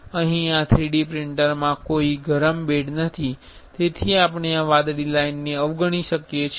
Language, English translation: Gujarati, Here in this 3D printer there is no heated bed, so we can avoid this blue line